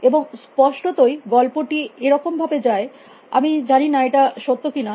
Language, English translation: Bengali, And apparently, so this story goes I do not know well it is true or not